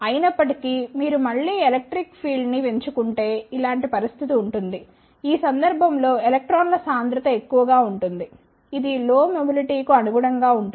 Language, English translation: Telugu, However, if you again increase the electric field there will be a situation, when the concentration of electrons will be more in this case which corresponds to lower mobility